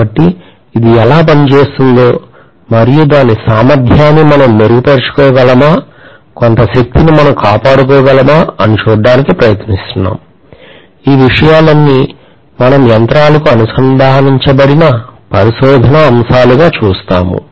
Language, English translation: Telugu, So we are trying to look at how it works and whether we can improve any of its efficiency, whether we can conserve some energy, all these things we look at as research areas which are aligned or which are connected to the machines